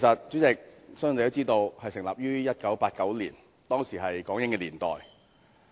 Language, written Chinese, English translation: Cantonese, 主席，大家都知道，中策組成立於1989年，當時是港英年代。, Chairman as we all know CPU was established in 1989 in the British - Hong Kong era